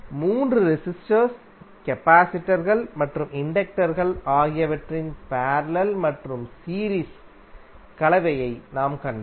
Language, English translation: Tamil, So we saw the parallel and series combination of all the three resistors, capacitors and inductors